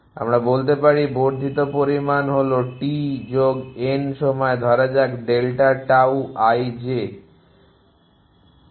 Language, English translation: Bengali, We can say the incremental amount is delta tau i j at time t plus n let us say